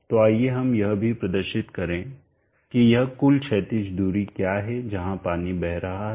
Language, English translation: Hindi, So let us also indicate what is this total horizontal distance that the water is flowing